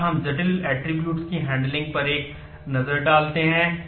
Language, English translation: Hindi, Next, we take a look into the handling of the complex attributes